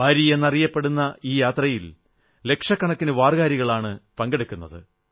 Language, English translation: Malayalam, This yatra journey is known as Wari and lakhs of warkaris join this